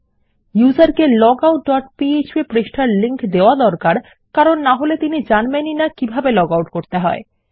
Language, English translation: Bengali, Its important to give the link the user to our logout dot php page otherwise theyll not know how to logout